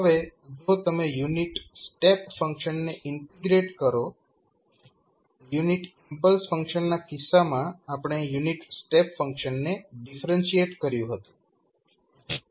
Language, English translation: Gujarati, Now, if you integrate the unit step function so in case of unit impulse function we differentiated the unit step function